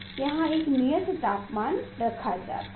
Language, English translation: Hindi, this temperature constant temperature is kept